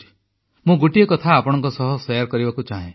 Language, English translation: Odia, I would like to share something with you